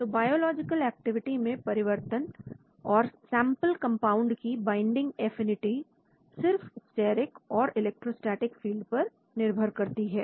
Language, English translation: Hindi, So the changes in biological activities or binding affinities of sample compound correlate with the changes in the steric and electrostatic fields only